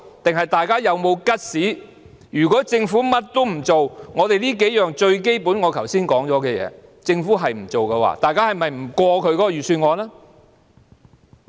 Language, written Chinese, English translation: Cantonese, 還是大家有沒有 guts， 如果政府甚麼也不做，連我們剛才提到最基本的數項建議也不做的話，大家會否不通過財政預算案？, Or do we have the guts to negative the Budget if the Government does not do anything not even implementing the several basic proposals mentioned by us earlier?